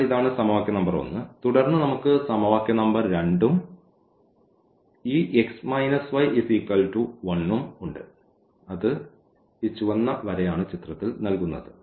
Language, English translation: Malayalam, So, this is the equation number 1 and then we have the equation number 2 as well this x minus y is equal to 1 and that is given by this red line